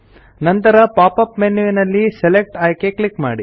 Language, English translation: Kannada, Now click on the Select option in the pop up menu